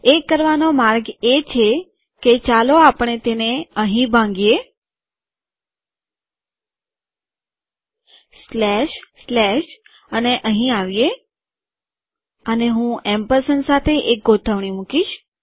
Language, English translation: Gujarati, The way to do that is, let us break it here, slash, slash, and come here and Im putting an aligned with this ampersand